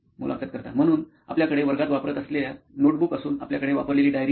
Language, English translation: Marathi, So you have notebooks that you use in class and you have a diary that you use